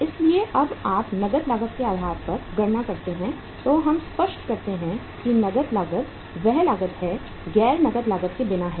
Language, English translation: Hindi, So when you calculate on the cash cost basis so we are clear that cash cost is the cost which is without the non cash cost